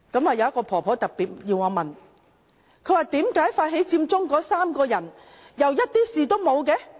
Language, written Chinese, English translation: Cantonese, 有一位婆婆特別要我提問，為何發起佔中那3個人卻又甚麼事也沒有？, An old lady asked me why the three initiators of Occupy Central remain safe and sound?